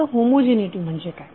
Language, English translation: Marathi, Now what is homogeneity